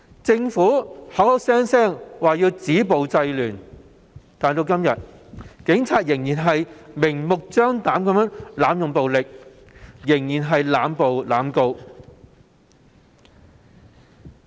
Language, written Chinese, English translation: Cantonese, 政府聲稱要止暴制亂，但警隊至今仍然明目張膽地濫用暴力，仍然在濫捕和濫告。, While the Government claimed that it would work to stop violence and curb disorder the Police Force is still blatantly using excessive force making excessive arrests and instituting excessive prosecutions so far